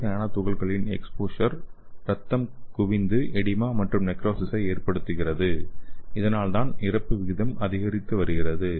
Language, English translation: Tamil, And again this exposure to sliver nanoparticles resulted in the accumulation of blood causing edema and necrosis so that is why the mortality rate is increasing